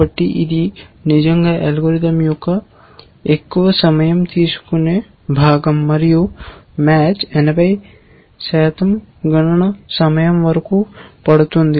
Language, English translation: Telugu, So, this is really the most time consuming part of the algorithm and people have observed that match takes up something like 80